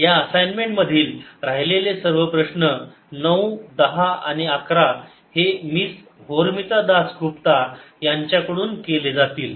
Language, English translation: Marathi, rest of the problems in this assignment, number nine, ten and eleven, are going to be done by miss horamita das gupta